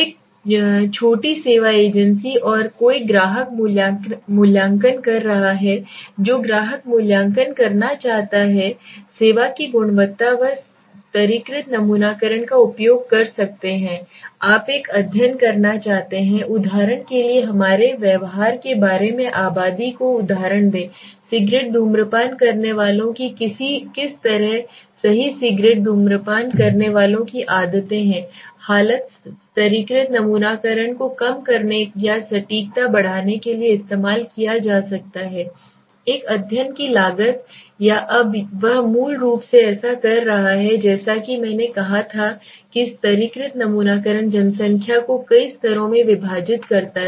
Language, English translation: Hindi, A small service agency and suppose somebody is using a client assessment client want to assess quality of service there he can use stratified sampling get to so when you want to make a study right about let us say a for example the population about its behavior or something let us say what is the kind of the cigarette smokers right the habits of cigarette smokers right so in such a condition stratified sampling could be used to reduce or to increase the accuracy and reduce the cost of or in a study now what he is doing basically so as I said the strata the stratified sampling divides the population into several stratas